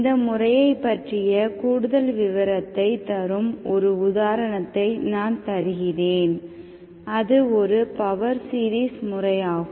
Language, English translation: Tamil, Let me give an example that gives you more insights into the method, it is a power series method